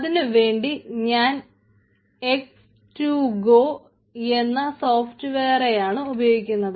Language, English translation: Malayalam, so for that i am using a software called x to go